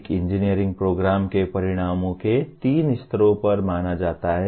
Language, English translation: Hindi, The outcomes of an engineering program are considered at three levels